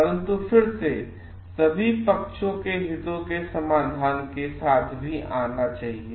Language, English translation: Hindi, But again, the focus should also be coming up with solutions for the interest of all parties